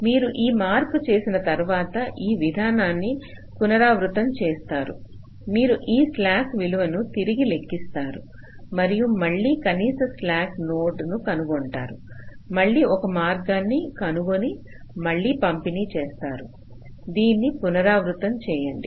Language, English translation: Telugu, after making this change, again you recalculate this, i slack values, and you and you again find out the minimum slack node, again find out a path, again distribute